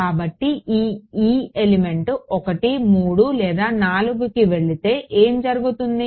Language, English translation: Telugu, So, if this e goes to element 1 3 or 4 what will happened